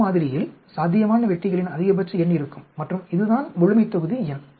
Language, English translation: Tamil, In a sample, there is a maximum number of successes possible and this is the population number